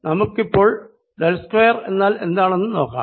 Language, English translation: Malayalam, let see what this quantity del square is